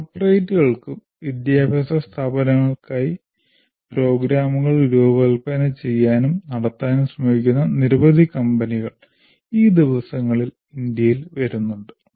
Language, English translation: Malayalam, Now these days there are a number of companies that are coming up in India who are trying to design and conduct programs for the corporates as well as for the educational institutes